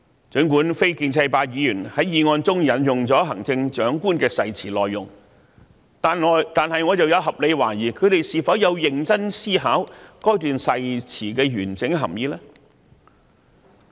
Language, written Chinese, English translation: Cantonese, 儘管非建制派議員在議案中引用了行政長官的誓詞內容，但我有合理懷疑，他們有否認真思考該段誓詞的完整含意呢？, While the non - pro - establishment Members have cited the contents of the Chief Executives oath I have reasons to doubt whether they have seriously thought about the meaning of the oath in its entirety